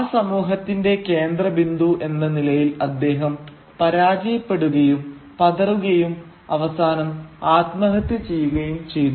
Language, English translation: Malayalam, And he, as a centre of that community, fails, falters, and ultimately sort of, commits suicide